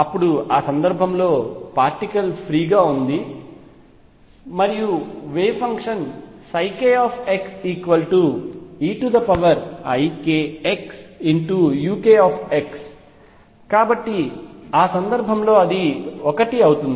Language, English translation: Telugu, Then I know in that case particle is free and the wave function psi k x is e raise to i k x and u k x therefore, in that case is 1